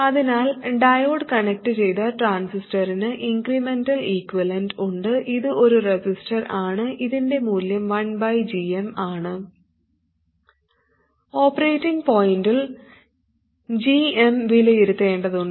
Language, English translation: Malayalam, So a diode connected transistor has an incrementally equivalent which is a resistor value 1 by GM and GM has to be evaluated at the operating point